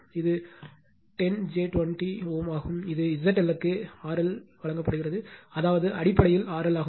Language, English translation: Tamil, This is 10 j 20 ohm, and this is Z L is given R L that means, it is basically simply R L right